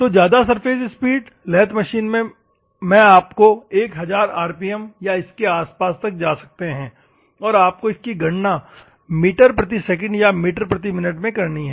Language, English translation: Hindi, So, high surface speeds, normally in a lathe process you may go for 1000 rpm or something, but anyhow you have to calculate into meters per second or meters per minute